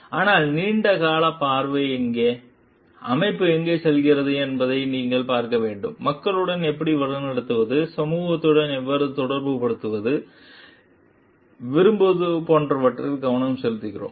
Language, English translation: Tamil, But, then where is a long term vision, where you want to see where organization is going, like where do we focus on like how to lead with the people, how to establish a connection with the society at large, how to like do go for like a trust building